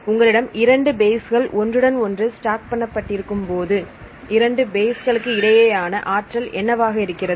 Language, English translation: Tamil, bases If you have the two bases stacked with each other right, what is the energy right for it is between this two bases right